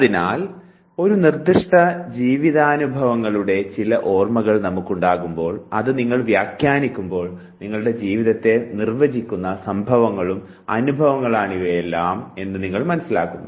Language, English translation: Malayalam, So, what happens when we have certain recollection of a specific life experiences, when you interpret them and you considered these are the events and experiences that defines you your life